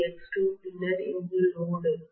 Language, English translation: Tamil, That is x2 and then here is the load